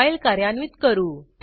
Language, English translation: Marathi, Lets execute the file